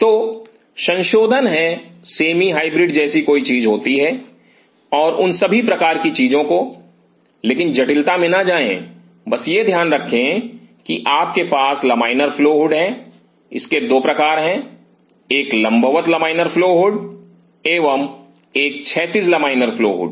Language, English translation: Hindi, So, there are modifications there is something like a semi hybrid and all those kinds of things, but do not get in the complexity just keep in mind you have 2 kinds of laminar flow hood a vertical laminar flow hood and a horizontal laminar flow hood